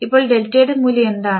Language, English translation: Malayalam, So, what is the value of delta